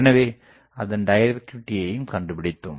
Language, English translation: Tamil, So, we have found out the directivity